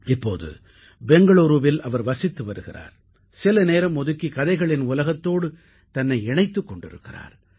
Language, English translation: Tamil, Presently, he lives in Bengaluru and takes time out to pursue an interesting activity such as this, based on storytelling